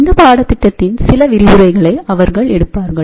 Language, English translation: Tamil, They will be taking some of the lectures in this particular course